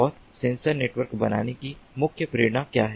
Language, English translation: Hindi, and what is the main motivation of building a sensor network